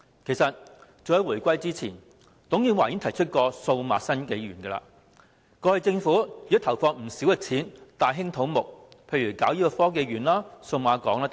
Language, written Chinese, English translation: Cantonese, 事實上，早於回歸前，董建華已提出"數碼新紀元"，而政府過去亦已投放不少金錢大興土木，例如興建科學園、數碼港等。, As a matter of fact as early as before the handover there was the proposal of Digital 21 from TUNG Chee - hwa . Over the years the Government has also invested heavily in infrastructure such as the construction of the Science Park and the Cyberport